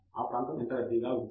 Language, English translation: Telugu, How crowded this area is